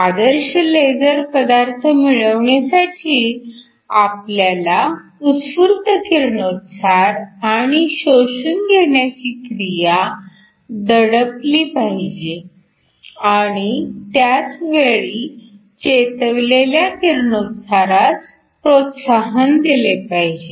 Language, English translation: Marathi, So, For ideal laser material we want to suppress the spontaneous emission and absorption at the same time promote stimulated emission